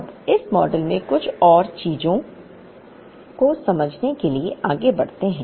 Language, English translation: Hindi, Now, let us proceed further to understand a few more things in this model